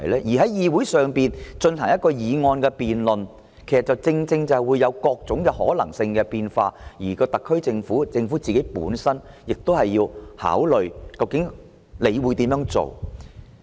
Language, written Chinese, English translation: Cantonese, 在議會進行議案辯論，正正會產生各種可能性和變數，特區政府亦要考慮如何回應。, When motion debates are held in the Legislative Council many possibilities and uncertainties will arise and the SAR Government has to consider how to respond to them